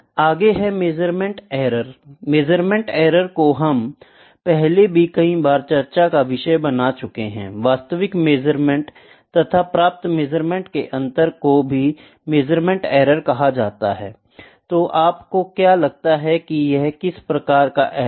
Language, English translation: Hindi, Next is measurement error; measurement error we have discussed it before multiple times, the difference between the actual measurement and the observed measurement is known as measurement error